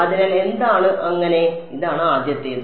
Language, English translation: Malayalam, So, what is so, this is the first one